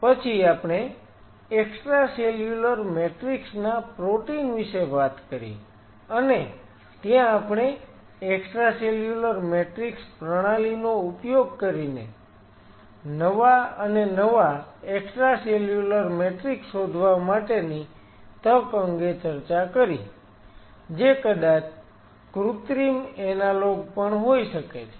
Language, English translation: Gujarati, Then we talked about extracellular matrix protein and there we discuss the opportunity of using extracellular matrix system to discover newer and newer extra cellular matrix which may be even synthetic analogues